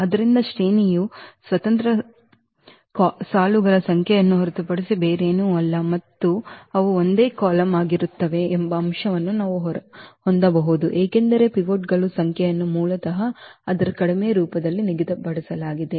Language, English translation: Kannada, So, we can have also this definition that the rank is nothing but the number of independent rows and they are the same the column because the number of pivots are basically fixed in its reduced form